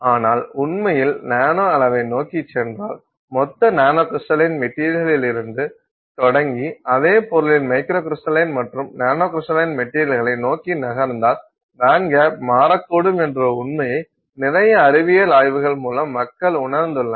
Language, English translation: Tamil, But through a lot of scientific study people have recognized that fact that if you actually go towards the nanoscale in from, if you start from bulk, you know, macrocrystalline material and you move towards microcrystalline, nanocrystaline materials of the same substance, then it turns out that the band gap can actually change and therefore you will have a different band gap for the same material